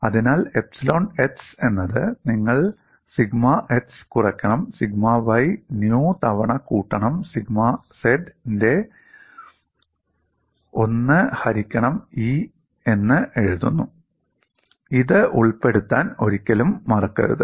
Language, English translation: Malayalam, So, you write epsilon x as 1 by E of sigma x minus nu times sigma y plus sigma z, never forget include this, this is very important